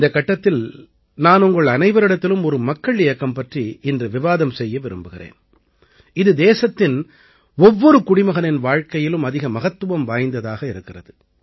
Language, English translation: Tamil, In this episode, I want to discuss with you today one such mass movement of the country, that holds great importance in the life of every citizen of the country